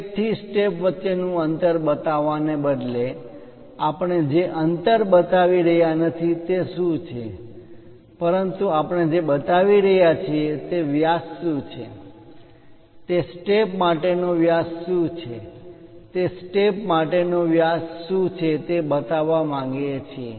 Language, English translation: Gujarati, Instead of showing the gap between step to step, what is that gap we are not showing, but what we are showing is what is that diameter, what is the diameter for that step, what is the diameter for that step we would like to show